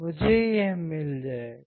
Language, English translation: Hindi, I will get this